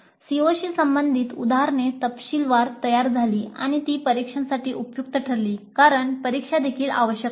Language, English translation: Marathi, Then examples relevant to the COs worked out well in detail and also they were useful for examinations because examinations are also essential